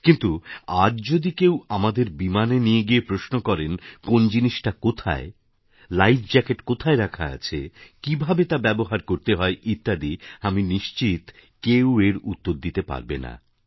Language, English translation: Bengali, But today if one of us is taken inside an aircraft and asked about the location of equipments, say life jackets, and how to use them, I can say for sure that none of us will be able to give the right answer